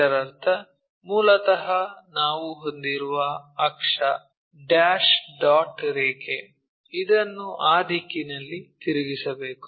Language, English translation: Kannada, That means, basically the axis what we are having, dash dot line this has to be rotated in that direction